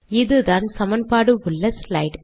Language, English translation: Tamil, So this is the equation containing slide